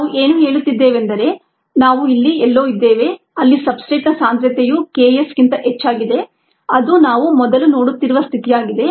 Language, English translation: Kannada, what we are saying is that we are somewhere here were the substrate concentration is much higher than k s